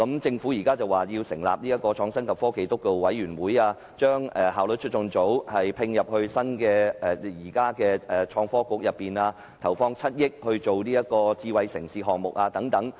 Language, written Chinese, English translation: Cantonese, 政府現時表示要成立創新及科技督導委員會，並將效率促進組歸入創科及科技局，以及投放7億元推展智慧城市項目等。, The Government has indicated that it will set up the Steering Committee on Innovation and Technology transfer the Efficiency Unit to the Innovation and Technology Bureau and invest 700 million to push ahead with smart city development